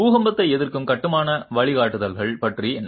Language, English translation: Tamil, What about earthquake resistant construction guidelines